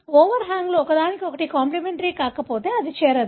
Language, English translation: Telugu, If the overhangs are not complimentary to each other, it will not join